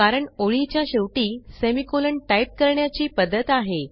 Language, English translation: Marathi, As it is a conventional practice to type the semicolon at the end of the line